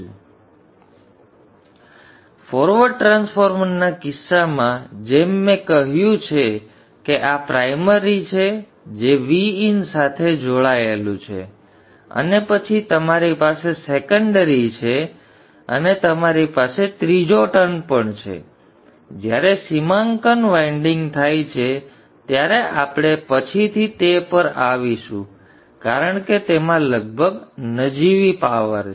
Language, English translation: Gujarati, So in the case the forward transformer, I will say this is the primary which is connected to V In and then you have the secondary and you also have the third winding with the D Manet is winding will come to that later because that contains almost negligible power